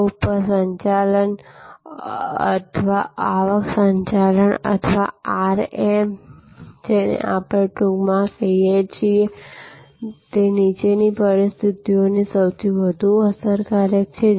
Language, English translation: Gujarati, This yield management or revenue management or RM as we call it in short is most effective in the following conditions